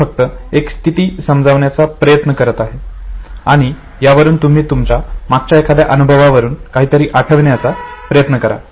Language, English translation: Marathi, I am just trying to state a situation and you try to recollect something that you had experience in the past